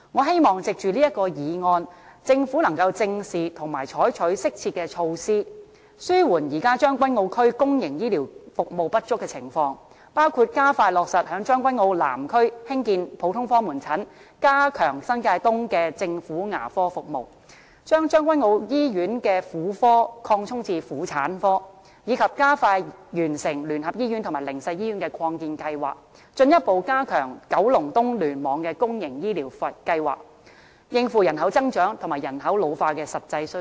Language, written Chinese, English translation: Cantonese, 藉着這項議案，我希望政府能夠正視和採取適切措施，紓緩現時將軍澳區公營醫療服務不足的情況，包括加快落實在將軍澳南區興建普通科門診、加強新界東的政府牙科服務、把將軍澳醫院的婦科擴充至婦產科，以及加快完成聯合醫院和靈實醫院的擴建計劃，進一步加強九龍東聯網的公營醫療服務，應付人口增長和人口老化的實際需要。, Through this motion I hope the Government can address the problem squarely and adopt appropriate measures to relieve the existing shortage of public healthcare services in Tseung Kwan O . And such measures should include expediting the implementation of the construction of a general outpatient clinic in Tseung Kwan O South enhancing the government dental services in New Territories East expanding the gynaecological services in the Tseung Kwan O Hospital to OG services and speeding up the completion of the expansion projects of the United Christian Hospital and the Haven of Hope Hospital with a view to further enhancing the public healthcare services in KEC to meet the actual needs arising from the growing and ageing population